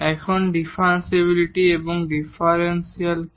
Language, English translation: Bengali, Now, what is differentiability and differential usually